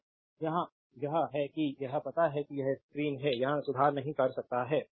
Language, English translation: Hindi, So, here it is a it is you know it is a screen, we cannot make a correction here